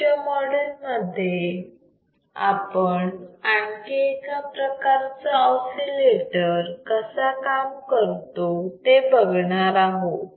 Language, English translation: Marathi, Let us complete this module here and we will see in the next module the another kind of oscillator